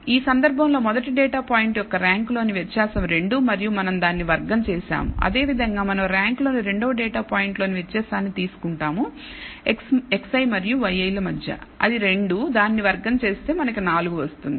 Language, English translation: Telugu, So, in this case the difference in the rank for the first data point is 2 and we square it, similarly we take the difference in the second data point in the ranks between x i and y i which is 2 and square it we get 4